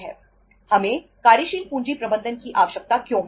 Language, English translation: Hindi, Why we need the working capital